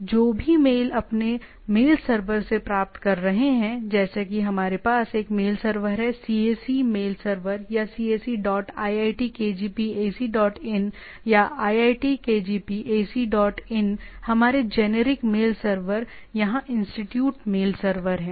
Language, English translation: Hindi, So, whatever mail you are coming received by your mail server like say we have a mail server is CAC mail server or cac dot iitkgp ac dot in or iitkgp ac dot in is the our generic mail server here institute mail server